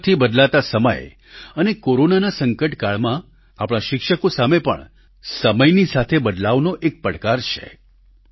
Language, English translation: Gujarati, The fast changing times coupled with the Corona crisis are posing new challenges for our teachers